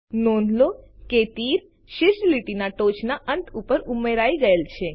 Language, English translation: Gujarati, Note that an arrowhead has been added to the top end of the line